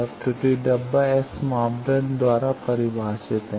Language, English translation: Hindi, Now that error box is characterized by S parameters